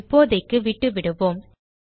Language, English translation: Tamil, We will skip this for now